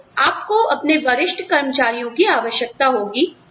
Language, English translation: Hindi, So, you need senior employees